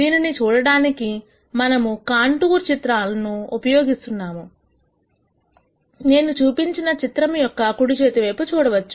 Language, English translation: Telugu, To better visualize this we draw what are called contour plots which I show on the right hand side of this picture